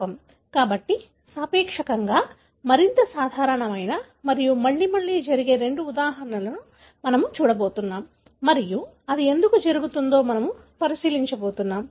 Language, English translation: Telugu, So, we are going to look into two examples that are relatively more common and happens again and again and we are going to look into why does it happen